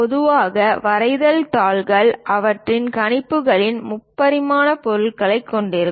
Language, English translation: Tamil, Typically drawing sheets contain the three dimensional objects on their projections